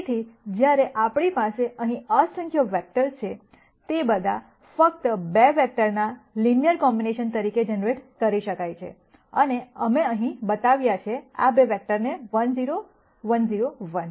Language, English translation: Gujarati, So, the key point being, while we have in nite number of vectors here, they can all be generated as a linear combination of just 2 vectors and we have shown here, these 2 vectors as 1 0 1 0 1